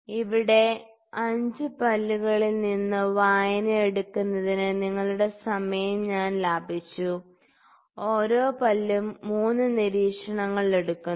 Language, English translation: Malayalam, So, I have saved some of your time on taking the readings from 5 teeth here and 3 observations each tooth is taken